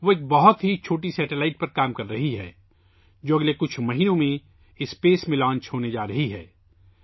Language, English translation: Urdu, She is working on a very small satellite, which is going to be launched in space in the next few months